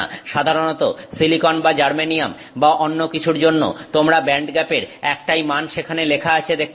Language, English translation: Bengali, Typically you look for no silicon or you know germanyum or something, you will see one value for the band gap that is listed there